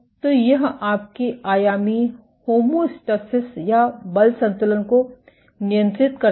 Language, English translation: Hindi, So, this regulates your tensional homeostasis or the force balance